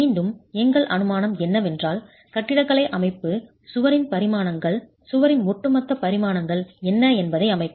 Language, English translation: Tamil, Again, our assumption is that the architectural layout is going to set what are the dimensions of the wall, the overall dimensions of the wall